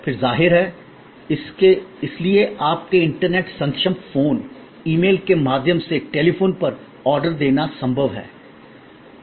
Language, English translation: Hindi, Then, of course, therefore it is possible to place an order on telephone, through email, through your internet enabled phone and so on